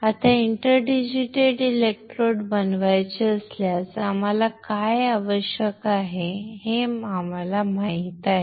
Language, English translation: Marathi, Now, we know what we require if you want to form a inter digitated electrodes